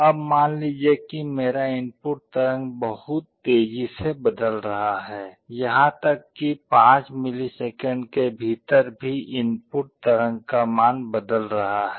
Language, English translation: Hindi, Now, suppose my input waveform is changing very rapidly, even within the 5 millisecond time the value of the input waveform is changing